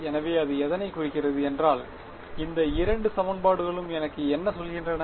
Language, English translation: Tamil, So, what do these two equations tell me